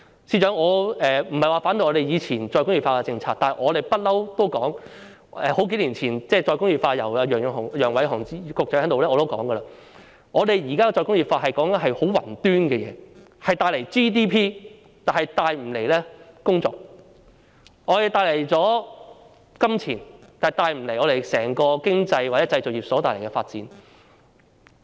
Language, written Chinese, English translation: Cantonese, 司長，我不是反對以前的再工業化政策，但數年前楊偉雄局長提出再工業化時，我已經指出，現時談再工業化，說的是十分宏觀的事情，只會帶來 GDP， 但卻無法帶來工作，能夠帶來金錢，但卻無法帶動整個經濟或製造業發展。, Financial Secretary I am not opposed to the re - industrialization policy implemented in the past but when Secretary Nicholas YANG proposed re - industrialization a few years ago I have already pointed out that when we were talking about re - industrialization we were actually talking about something in a very macro sense . Re - industrialization would only contribute to GDP but not job opportunities and could bring us money but do nothing to promote the development of the manufacturing industry or our economy as a whole